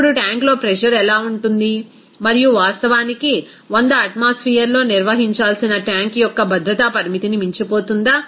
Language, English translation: Telugu, Now, what will be the pressure in the tank will be and will it exceed the safety limit of the tank what is actually to be maintained at 100 atmosphere